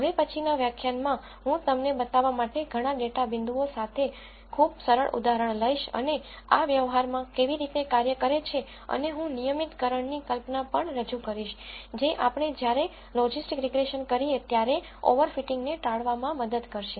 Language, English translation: Gujarati, In the next lecture, I will take very simple example with several data points to show you how this works in practice and I will also introduce notion of regularization, which would help in avoiding over fitting when we do logistic regression